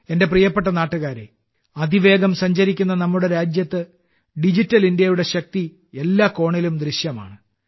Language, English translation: Malayalam, My dear countrymen, in our fast moving country, the power of Digital India is visible in every corner